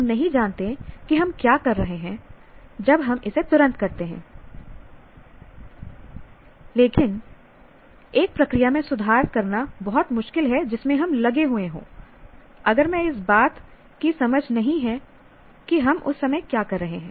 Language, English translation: Hindi, We do not know what we are doing when we do it right away, but it is very hard to improve a process that we are engaged in if we do not have a sense of what we are doing at the moment